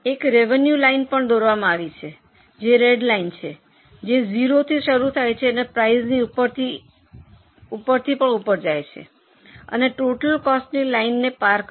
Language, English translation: Gujarati, A revenue line is also drawn that is a red line which starts with zero and goes up beyond a point crosses the total cost line